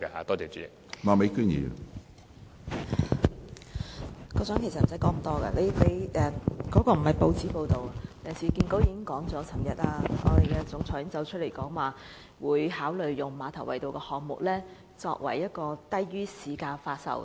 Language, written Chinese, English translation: Cantonese, 局長其實無需多說，他所提及的亦非甚麼報章報道，而是市建局行政總監昨天表示，將會考慮把馬頭圍道項目的單位以低於市價發售。, There is actually no need for the Secretary to say so much and what he mentioned is not a case cited from some news reports but a statement made by the Managing Director of URA yesterday to reveal that consideration will be given to pricing the housing units developed under the Ma Tau Wai Road Project at a level below the market price